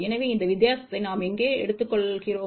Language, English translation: Tamil, So, where we take that difference